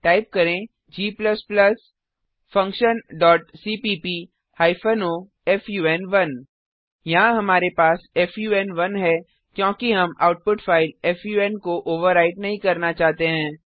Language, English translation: Hindi, Type g++ function dot cpp hyphen o fun1 Here we have fun1, this is because we dont want to overwrite the output file fun